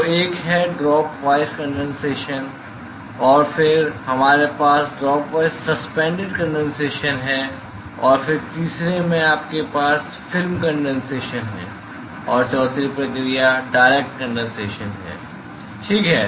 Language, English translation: Hindi, So, one is the drop wise drop wise condensation and then, we have drop wise suspended condensation and then in the third one is you have film condensation and the fourth process is direct condensation, ok